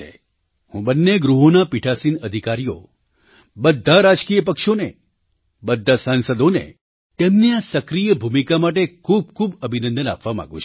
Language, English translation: Gujarati, I wish to congratulate all the Presiding officers, all political parties and all members of parliament for their active role in this regard